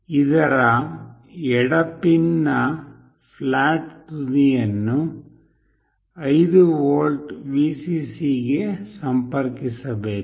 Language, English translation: Kannada, The flat end of this the left pin should be connected to 5 volt Vcc